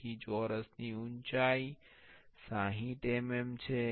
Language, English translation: Gujarati, So, the height of the square is 60 mm